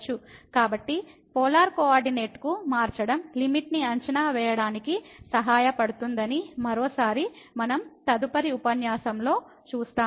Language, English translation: Telugu, So, one again we will see more in the next lecture that changing to the Polar coordinate is helpful for evaluating the limit